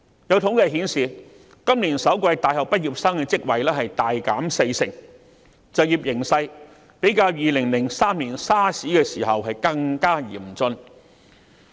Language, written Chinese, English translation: Cantonese, 有統計顯示，今年首季大學畢業生的職位數目大減四成，就業形勢較2003年 SARS 時期更加嚴峻。, Some statistics reveal that the number of job vacancies open for university graduates has decreased sharply by 40 % in the first quarter of this year rendering the employment outlook even more austere than the period during the SARS outbreak in 2003